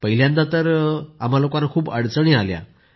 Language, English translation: Marathi, Initially we faced a lot of problems